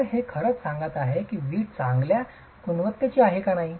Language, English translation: Marathi, So, this is actually telling you whether the brick is of good quality or not